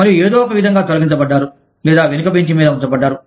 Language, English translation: Telugu, And is, somehow laid off, or, put on the back bench